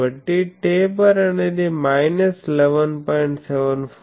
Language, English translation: Telugu, So, taper is minus 11